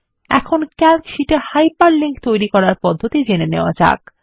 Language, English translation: Bengali, Now, lets learn how to create Hyperlinks in Calc sheets